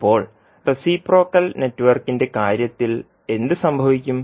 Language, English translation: Malayalam, Now, what will happen in case of reciprocal network